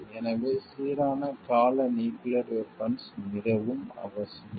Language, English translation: Tamil, So, balanced term nuclear weapon is like essential